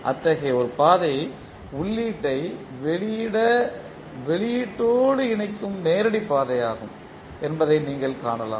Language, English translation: Tamil, One such path is the direct path which you can see which is connecting input to output